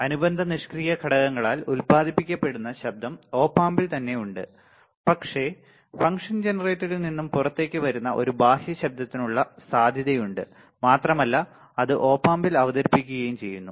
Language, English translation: Malayalam, Op amp itself many have noise generated by the associated passive components, but there is a possibility of a external noise that comes out of the function generator and is introduced to the op amp all right